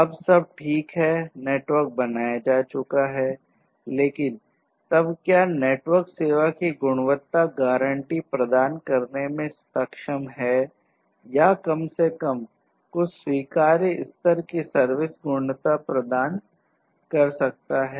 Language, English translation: Hindi, Now everything is fine network has been built, but then whether the network is able to offer the quality of service guarantees or at least some acceptable levels of quality of service